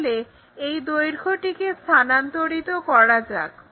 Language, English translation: Bengali, So, let us transfer that lengths